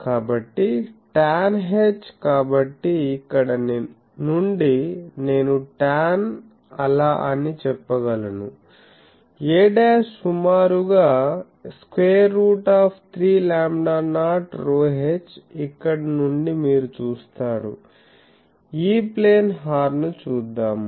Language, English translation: Telugu, So, tan h in so, from here I can say that tan be so, a dash will be approximately 3 lambda not rho h from here you see, E plane horn let us come